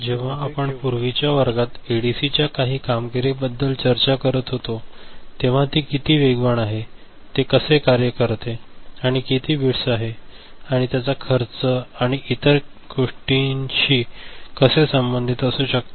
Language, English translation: Marathi, And when we discuss certain performances of ADC in the earlier classes regarding, how fast you know, it works or how many bits that can be associated with cost and other things